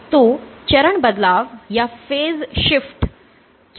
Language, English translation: Hindi, So, what is the phase shift